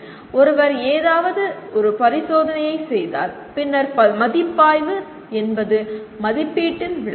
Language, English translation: Tamil, And what happens once somebody perform something like performs an experiment then evaluation is interpretation of assessment